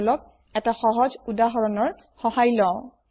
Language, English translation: Assamese, Let us go through a simple example